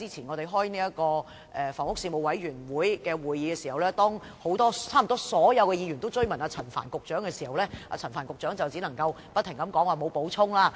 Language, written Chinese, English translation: Cantonese, 我們較早前舉行房屋事務委員會會議時，差不多所有議員均追問陳帆局長，但他只能不停說沒有補充。, At our meeting of the Panel on Housing earlier nearly all the members asked Secretary Frank CHAN about it but he could only keep saying that he had nothing to add